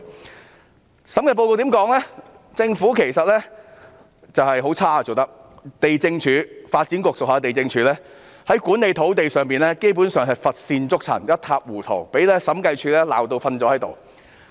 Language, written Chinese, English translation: Cantonese, 該審計報告指出，政府其實做得十分差勁，發展局轄下地政總署的土地管理基本上乏善足陳、一塌糊塗，被審計處批評至體無完膚。, The Audit Report points out that the Government has actually performed very poorly . Regarding land management by the Lands Department under the Development Bureau the Audit Report says that there is nothing to write home about and it is a real mess . The Lands Department has been severely criticized by the Audit Commission